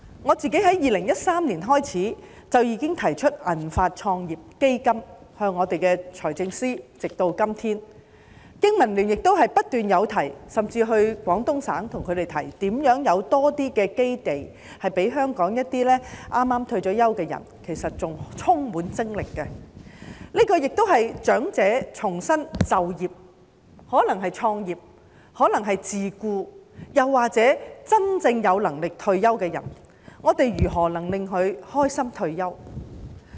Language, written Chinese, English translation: Cantonese, 我從2013年起至今，一直建議財政司司長設立"銀髮創業基金"，香港經濟民生聯盟亦不斷提出，甚至到廣東省向他們提出，如何為香港一些剛退休的人士提供較多基地，其實他們仍然精力充沛，這亦是長者重新就業的機會，可能是創業、可能是自僱，又或是真正有能力退休的人，我們如何令他們開心地退休？, I have been recommending the Financial Secretary to set up a silver venture capital fund since 2013 whilst the Business and Professionals Alliance for Hong Kong has also constantly raised proposals on how to provide more bases for those fresh retirees in Hong Kong and we even visited the Guangdong Province to put forward our proposal . In fact these elderly people are still very energetic and this will provide an opportunity for them to engage in re - employment which may take the form of starting up their business or self - employment . Or for those who indeed have the means to retire how can we facilitate them in leading a happy retirement life?